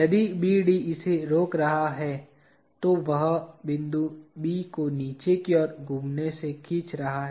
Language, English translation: Hindi, If BD is preventing it, it is pulling point B from rotating downward